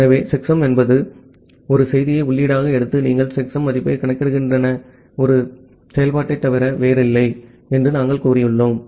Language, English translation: Tamil, So, as we have said that checksum is nothing but a function in where you are taking a message in as input and you are computing the checksum value